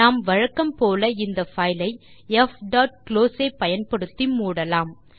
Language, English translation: Tamil, We could, as usual close the file using f.close and re open it